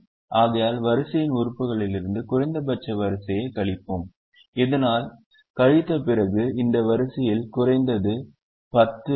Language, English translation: Tamil, therefore, we subtract the row minimum from element of the row so that after subtraction this row will have atleast one zero